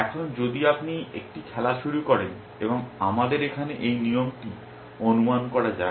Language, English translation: Bengali, Now, if you a just starting the game and let us assume that this rule here